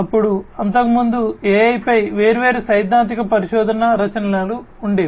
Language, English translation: Telugu, Then in, you know, earlier there used to be different theoretical research works on AI